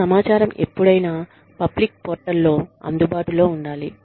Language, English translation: Telugu, This information should be available, on a public portal, at all times